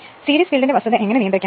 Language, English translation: Malayalam, How to control the fact of series field